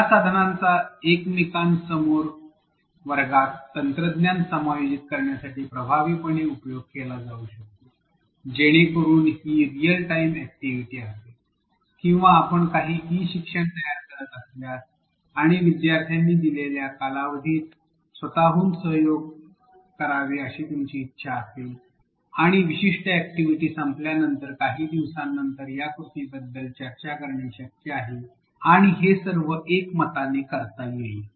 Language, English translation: Marathi, These tools can be used effectively to integrate technology in a face to face classroom, so that would be a real time activity or it can be done asynchronously if you are creating some synchronous e learning and you want students to collaborate at their own time within a given duration and after the particular activity is over say a few days later some discussion can happen about the activity